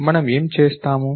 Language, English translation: Telugu, What I am going to do